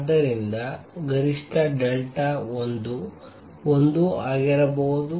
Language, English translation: Kannada, And therefore, maximum delta l can be 1